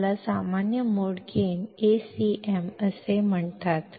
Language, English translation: Marathi, It is called as the common mode gain Acm